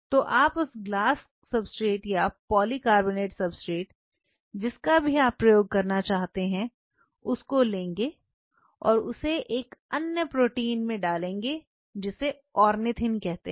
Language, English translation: Hindi, You take the glass substrate or the polycarbonate substrate whatever you want you to use you coat it with another protein called ornithine, ornithine